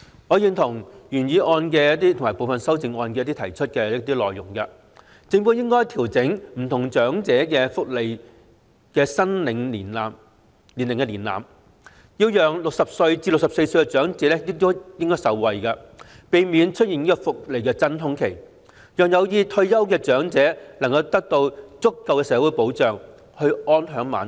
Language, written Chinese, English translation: Cantonese, 我認同原議案及部分修正案提出的一些內容，例如政府應該調整不同長者福利的申領年齡門檻，讓60歲至64歲的長者受惠，避免出現福利真空期，讓有意退休的長者能夠獲得足夠的社會保障，安享晚年。, I agree with some of the points stated in the original motion and some of the amendments such as requesting the Government to adjust the age requirements for various types of elderly welfare for the benefit of elderly persons aged between 60 and 64 to avoid a welfare void so that elderly persons who wish to retire can be offered adequate social security to lead a comfortable life in their twilight years